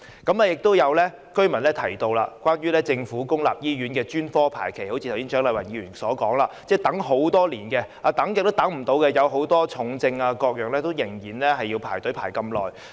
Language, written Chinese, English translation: Cantonese, 亦有居民提到政府公立醫院的專科排期，正如蔣麗芸議員剛才所說，要等候很久，很多重症病人要輪候服務多年。, Some residents mentioned that the waiting time for specialist services at public hospitals is very long as Dr CHIANG Lai - wan said earlier and many patients with serious illness have to wait many years for services